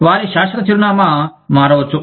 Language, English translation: Telugu, Their permanent address, may change